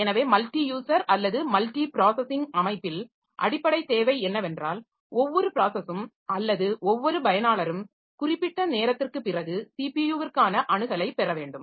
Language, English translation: Tamil, So, in a multi user or multi processing system, the basic requirement is that every process or every user should get the access to the CPU after some time